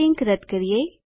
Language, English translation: Gujarati, Let us delete this link